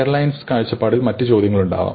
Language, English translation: Malayalam, From the airlines point of view there may be other questions